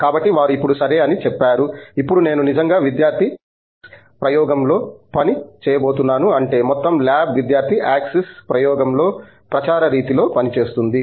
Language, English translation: Telugu, So, they now say OK, now I am going to actually work on a student axis experiment that means, the entire lab works on student axis experiment on a campaign mode